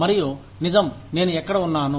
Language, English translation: Telugu, And, right, where I am